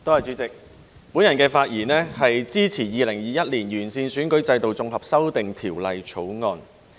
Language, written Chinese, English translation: Cantonese, 主席，我發言支持《2021年完善選舉制度條例草案》。, President I rise to speak in support of the Improving Electoral System Bill 2021